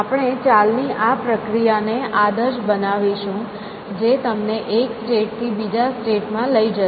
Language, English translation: Gujarati, So, we will model this process as moves, which will transform you take you from one state to another state